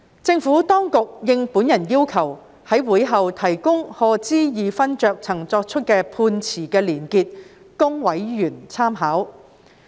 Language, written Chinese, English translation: Cantonese, 政府當局亦已應我要求，在會後提供賀知義勳爵曾作出的判詞連結供委員參考。, In respond to my request the Administration has provided the links to the judgments delivered by Lord HODGE after the meeting for members reference